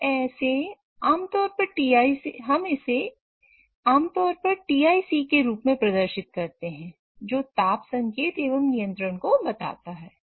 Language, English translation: Hindi, So, we typically represent it as TIC which refers to temperature indication and control